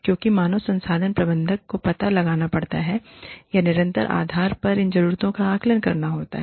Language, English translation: Hindi, Because, the HR manager has to find out, or has to assess these needs, on an ongoing basis